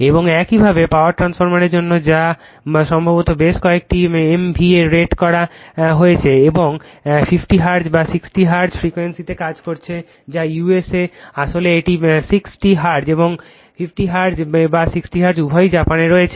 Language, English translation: Bengali, And similarly for power transformer rated possibly at several MVA and operating at a frequency 50 Hertz or 60 Hertz that is USA actually it is 60 Hertz and 50 Hertz or 60 Hertz both are there in Japan, right